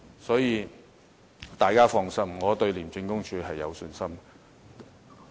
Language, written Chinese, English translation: Cantonese, 所以，大家放心，我對廉署有信心。, Hence please dont worry . I have confident in ICAC